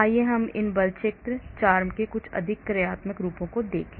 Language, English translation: Hindi, Let us look at some functional forms of these force field, CHARMM